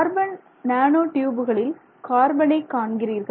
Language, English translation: Tamil, And in this we have carbon nanotube reinforcement